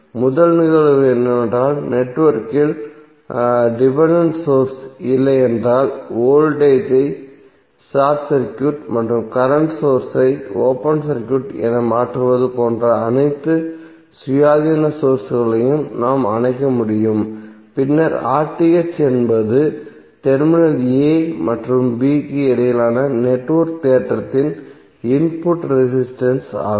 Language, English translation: Tamil, First case is that if the network has no dependent sources we can simply turn off all the independent sources like we can make the voltage as short circuit and current source as open circuit and then RTh is the input resistance of the network looking between terminal a and b